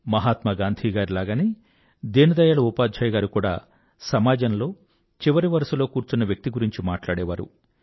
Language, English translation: Telugu, Like Gandhiji, Deen Dayal Upadhyayji also talked about the last person at the farthest fringes